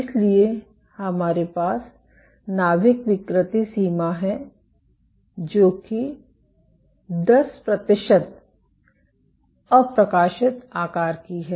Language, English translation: Hindi, So, cells we have the nuclear deformation limit which is 10 percent of undeformed size